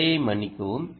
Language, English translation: Tamil, sorry for the error